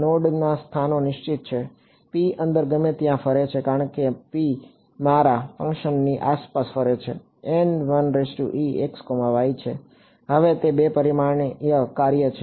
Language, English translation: Gujarati, The node locations are fixed P can roam around anywhere inside, as P roams around my function N 1 e is now a 2 dimensional function